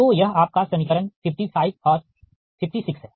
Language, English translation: Hindi, this is your equation fifty five and fifty six